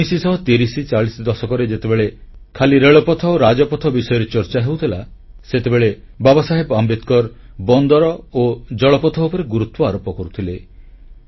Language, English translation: Odia, In the 30s and 40s when only roads and railways were being talked about in India, Baba Saheb Ambedkar mentioned about ports and waterways